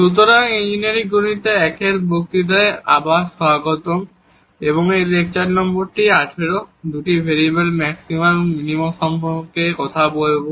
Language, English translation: Bengali, So welcome back to the lectures on Engineering Mathematics 1 and this is lecture number 18 will be talking about the Maxima and Minima Functions of two Variables